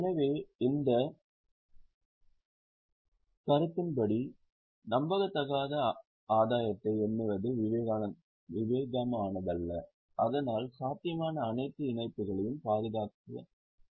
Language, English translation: Tamil, So, as for this concept, it is not prudent to count unrealized gain but it is desired to guard for all possible losses